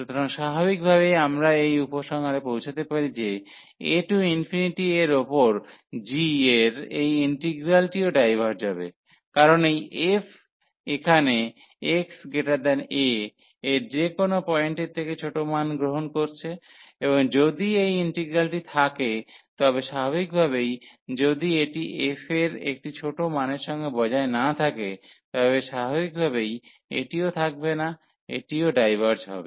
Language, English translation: Bengali, So, naturally we can conclude that the integral over a to infinity of this g will also diverge, because this f is taking the smaller values at any point x here greater than a; and if this integral exist, so naturally if it does not exist this f with a smaller values, then naturally this will also not exist this will also diverge